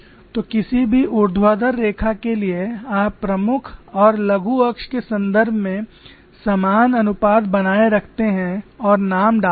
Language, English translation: Hindi, So for any vertical line you maintain the same ratio in terms of major and minor axis and mark points